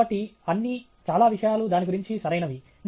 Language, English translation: Telugu, So, all the… many things are right about it